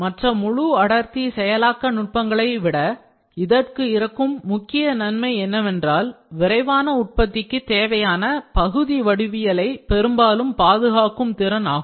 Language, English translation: Tamil, A key advantage over other full density processing techniques is the ability to largely preserve part geometry important for rapid manufacturing